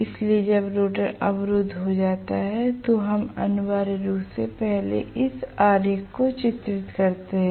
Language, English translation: Hindi, So, when the rotor is blocked we are essentially looking at let me first draw the diagram corresponding to this